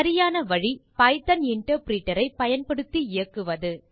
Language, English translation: Tamil, The correct method is to run it using the Python interpreter